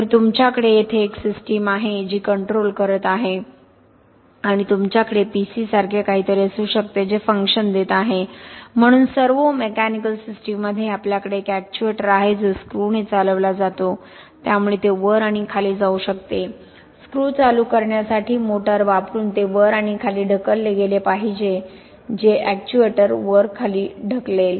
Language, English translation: Marathi, So you have a system here which is doing the control and you could have something like a PC which is giving the function okay, so in a servo mechanical system we have an actuator that is driven by a screw, so it can go up and down, it has been pushed up and down just by using a motor to turn a screw which will push the actuator up and down